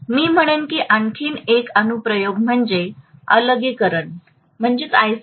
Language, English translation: Marathi, Another application I would say is isolation